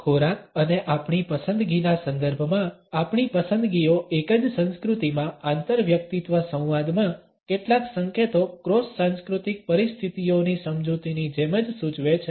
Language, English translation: Gujarati, Our choices in the context of food and our preference suggest several clues in interpersonal dialogue within the same culture as the legend cross cultural situations